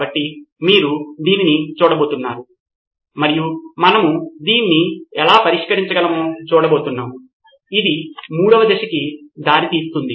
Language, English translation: Telugu, So you are going to look at this and see how might we actually solve this, which leads us to the third stage which is solution